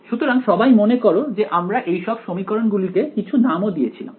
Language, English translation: Bengali, So, everyone remember this we had even given names to these equations